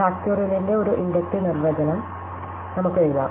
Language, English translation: Malayalam, So, we can write an inductive definition of factorial as follows